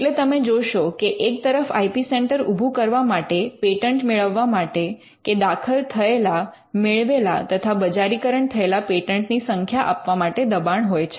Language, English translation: Gujarati, So, you will find that when there is a push to have an IP centre or to have patents or to have to submit the number of patents you have filed, granted and commercialized